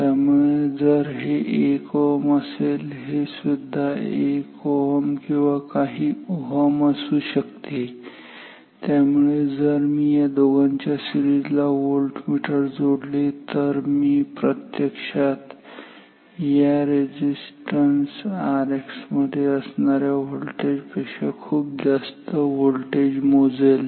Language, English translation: Marathi, So, if this is 1 ohm maybe this is also 1 ohms or several ohms and therefore, if I connect the voltmeter across this 2 in series I am actually measuring more voltage much more voltage than the voltage across this resistors R X